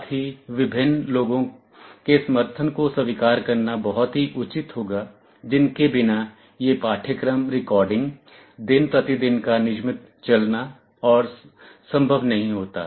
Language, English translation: Hindi, Also it would be very proper to acknowledge the support of various people without which this course recording, the regular day to day running, etc